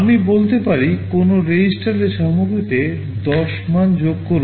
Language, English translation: Bengali, I may say add the value 10 to the content of a register